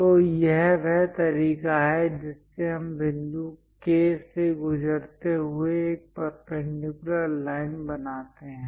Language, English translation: Hindi, So, this is the way we construct a perpendicular line passing through point K